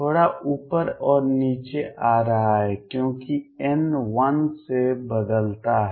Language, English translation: Hindi, Little up and down is coming because n changes by 1